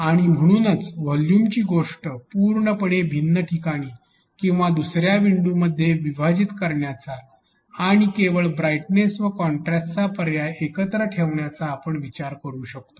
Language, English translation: Marathi, And therefore, we can think of splitting the volume thing in completely different location or in another window and just keeping brightness contrast